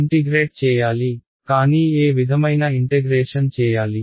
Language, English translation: Telugu, I need to integrate that is right, but what kind of integration